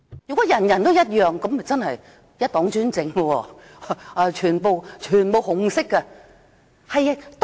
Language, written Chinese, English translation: Cantonese, 如果人人都一樣，那便是一黨專政了，全部都是紅色。, If everyone holds the same view that will be under one - party dictatorship . Everything is in the colour of red